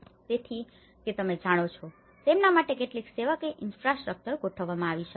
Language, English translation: Gujarati, So, that you know, some service infrastructure could be set up for them